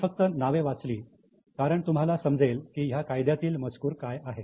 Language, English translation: Marathi, read the names because now you will understand what is the content of the Act